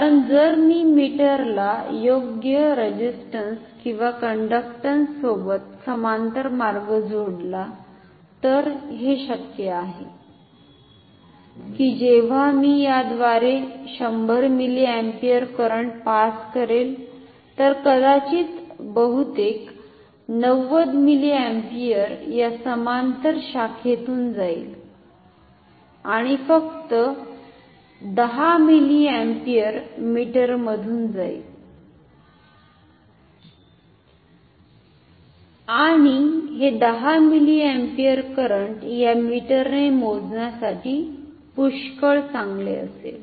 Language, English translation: Marathi, Because if I connect a parallel path to this meter with suitable resistance or conductance then it is possible that when I pass say 100 milliampere current through this say if I pass 100 milliampere current, then maybe a most of it maybe 90 milliampere will pass through this parallel branch and only 10 milliampere will pass through the meter and the 10 milliampere a current is good enough for measuring with this meter